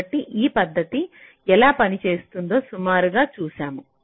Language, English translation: Telugu, ok, so this is roughly the idea how this method works